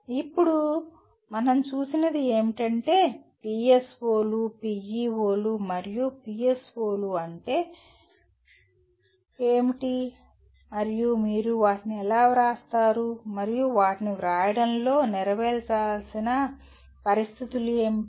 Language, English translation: Telugu, Now, what we have seen is, we have seen what are PSOs, PEOs and what are PSOs and how do you write them and what are the conditions that need to be fulfilled in writing them